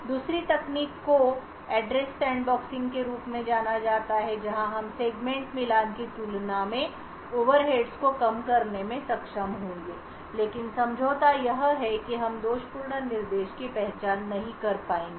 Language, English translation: Hindi, The second technique is known as the Address Sandboxing where we will be able to reduce the overheads compared to Segment Matching but the compromise is that we will not be able to identify the faulty instruction